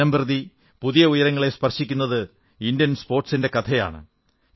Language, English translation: Malayalam, This is the real story of Indian Sports which are witnessing an upswing with each passing day